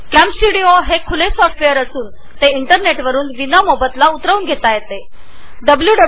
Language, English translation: Marathi, Camstudio is an open source software and can be downloaded free of cost from the internet